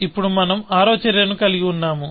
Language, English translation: Telugu, Now, we have the sixth action coming out